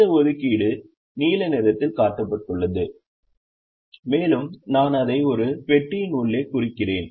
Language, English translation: Tamil, this assignment is shown in the blue color and i am also marking it inside a box